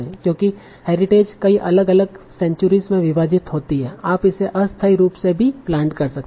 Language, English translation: Hindi, So because the data is divided across many different centuries, you can also plot it temporarily